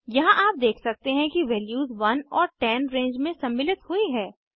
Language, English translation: Hindi, Here you can see the values 1 and 10 are included in the range